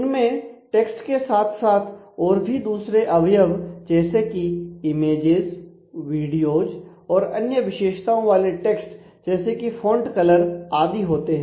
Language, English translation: Hindi, So, they contain text and along with that they can have a other components like images, video, the text as specifications for font colors style all that